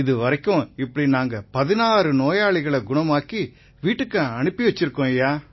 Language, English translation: Tamil, So far we have managed to send 16 such patients home